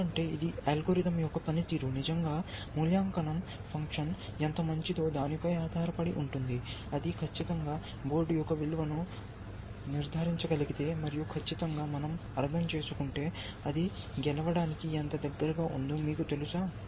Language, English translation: Telugu, Because it is the performance of the algorithm really depends on how good the evaluation function is, if it can judge, accurately the value of a board, and by accurately